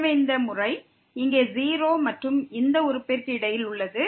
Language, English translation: Tamil, So, this time here lies between 0 and this term